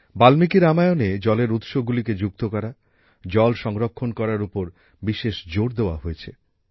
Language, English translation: Bengali, In Valmiki Ramayana, special emphasis has been laid on water conservation, on connecting water sources